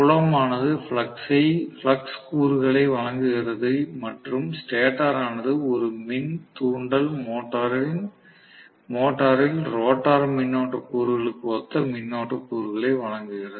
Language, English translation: Tamil, So, the field is providing the flux component and the stator is providing something similar to the rotor current components in an induction motor